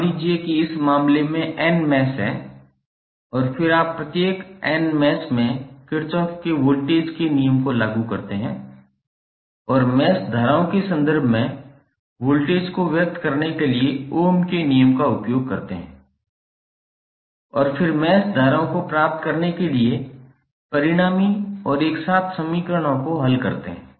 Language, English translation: Hindi, Suppose in this case there are n mesh and then you apply Kirchhoff's voltage law to each of the n mesh and use Ohm's law to express the voltages in terms of the mesh currents and then solve the resulting and simultaneous equations to get the mesh currents